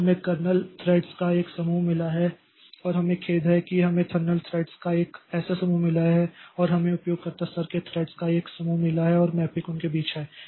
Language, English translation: Hindi, So we have got a group of kernel threads and sorry, we have got a group of kernel threads like this and we have got a group of kernel threads like this and we have got a group of kernel threads and we have got a group of kernel threads like this and we have got a group of user level threads and the mapping is between them